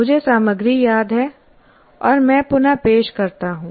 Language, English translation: Hindi, I remember the material and I reproduce